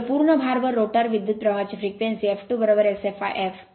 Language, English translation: Marathi, So, frequency of rotor current at full load f 2 is equal to S f l f